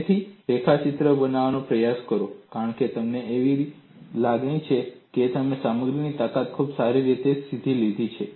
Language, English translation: Gujarati, Try to make a sketch of it, because you have a feeling that you have learnt strength of materials very well